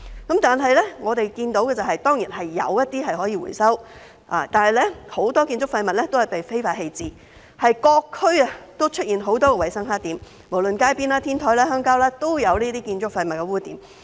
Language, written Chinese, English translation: Cantonese, 不過，我們看到的是，有一些廢物是可以回收的，但很多建築廢物均被非法棄置，在各區出現很多衞生黑點，無論是路邊、天台或鄉郊，也有這些建築廢物黑點。, Yet we see that some waste can be recycled and a lot of construction waste is illegally disposed of . There are many hygiene blackspots in various districts be it at the roadside on rooftops or in the countryside